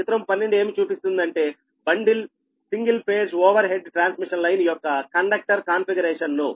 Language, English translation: Telugu, so figure twelve shows the conductor configuration of a bundled single overhead transmission, single phase overhead transmission line